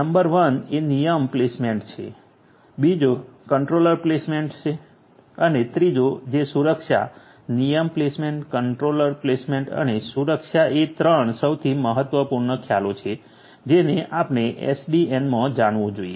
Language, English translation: Gujarati, Number 1 is rule placement, second is controller placement and third is security, rule placement, controller placement and security are the 3 most important concepts that one should know in SDN